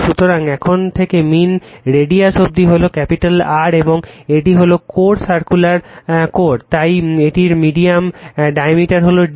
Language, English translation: Bengali, So, from here to your mean radius is capital R right, and this is the core circular core, so it is diameter is d right